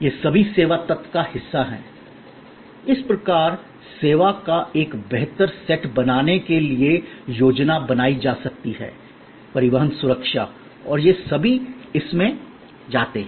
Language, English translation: Hindi, All these are part of the service element thus can be planned to create a superior set of service, transport security and all these also go in this